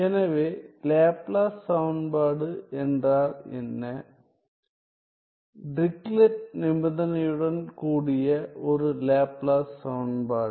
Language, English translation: Tamil, So, what is Laplace equation; a Laplace equation with Dirichlet condition